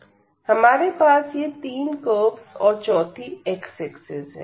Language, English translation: Hindi, So, these are the 3 curves again and the x axis the forth one is the x axis